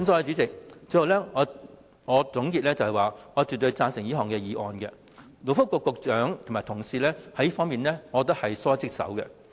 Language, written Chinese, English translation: Cantonese, 主席，最後我想作個總結，我絕對贊成這項議案，因為我認為勞工及福利局局長及其同事在這方面是疏忽職守的。, Chairman lastly I wish to summarize my points . I totally agree to this motion . Because I consider the Secretary for Labour and Welfare and his colleagues have neglected their duties